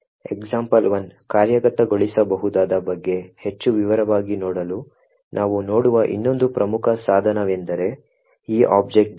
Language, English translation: Kannada, actually look at to go more into detail about the example 1 executable is this objdump